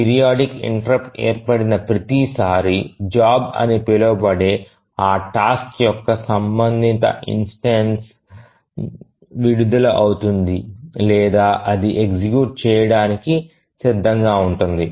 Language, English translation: Telugu, So each time the periodic timer interrupt occurs, the corresponding instance of that task which is called as a job is released or it becomes ready to execute